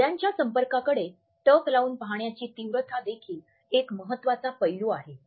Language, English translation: Marathi, The intensity of gaze in eye contacts is also an important aspect